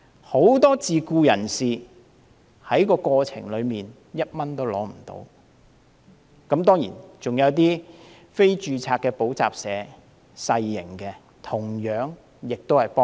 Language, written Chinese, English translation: Cantonese, 很多自僱人士在過程中連1元資助也沒有，還有一些非註冊的小型補習社同樣未能受惠。, Many self - employed people have not received even 1 of subsidy in the process . So is also the case for some non - registered small tutorial centres